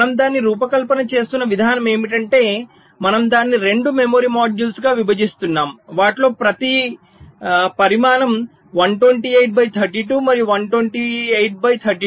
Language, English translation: Telugu, so the way we are designing it is that we are dividing that into two memory modules, each of them of size one twenty eight by thirty two and one twenty eight by thirty two